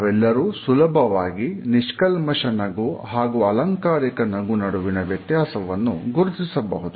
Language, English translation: Kannada, Almost all of us are able to understand the difference between a genuine smile and a synthetic or a plastic smile